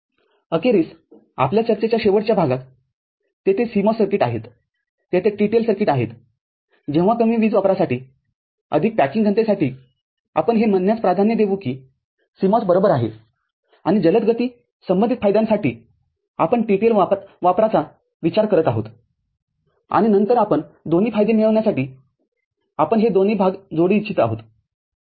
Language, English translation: Marathi, Finally, at last part of our discussion CMOS circuits are there, TTL circuits are there, could be cases when for less power consumption more packing density we are preferring say, CMOS right and higher speed and associated benefits we are thinking of using TTL and then we want to in connect these two parts for getting both the benefits